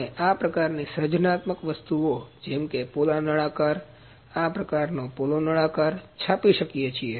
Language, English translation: Gujarati, We can print this kind of creative jobs like this hollow cylinder this kind of hollow cylinder